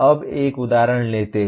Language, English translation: Hindi, Now let us take an example